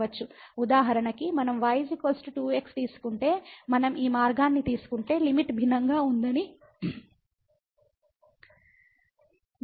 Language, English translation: Telugu, For example, if we take is equal to 2 if we take this path here and then again we will see that the limit is different